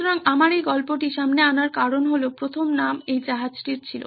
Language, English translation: Bengali, So, the reason I brought this story up was that this ship had a first to its name